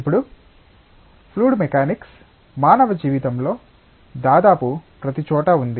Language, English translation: Telugu, Now, fluid mechanics is almost everywhere in human life